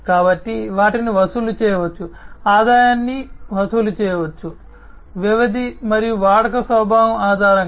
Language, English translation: Telugu, So, they can be charged, the revenues can be charged, based on the duration, and the nature of usage